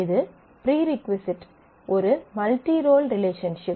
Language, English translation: Tamil, This is a prerequisite multi role relationship